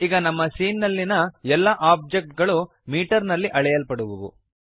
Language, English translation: Kannada, Now all objects in our scene will be measured in metres